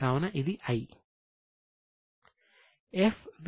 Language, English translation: Telugu, So, it's a I